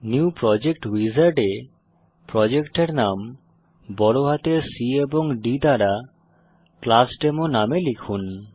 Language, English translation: Bengali, In the New Project Wizard, enter the Project name as ClassDemo with C and D in capital